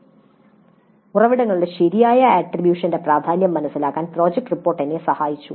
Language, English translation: Malayalam, Project report helped me in understanding the importance of proper attribution of sources